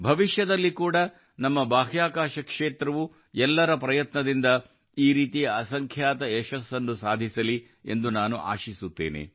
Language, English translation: Kannada, I wish that in future too our space sector will achieve innumerable successes like this with collective efforts